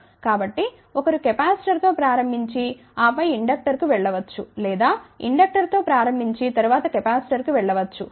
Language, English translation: Telugu, So, one can start with the capacitor and then go to inductor or when can start with the inductor and then go to the capacitor